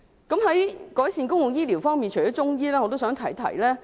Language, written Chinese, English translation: Cantonese, 在改善公共醫療方面，除中醫外，我也想提提另一點。, Regarding the improvement of public health care services apart from Chinese medicine I also wish to raise another point